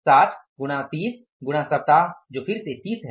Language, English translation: Hindi, 60 into 30 into the weeks are again how much